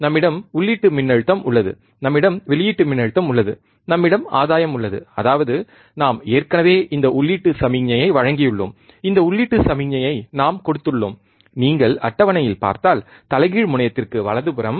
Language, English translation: Tamil, We have input voltage we have output voltage, we have gain; that means, we have given already this input signal, we have given this input signal, if you see in the table, right to the inverting terminal right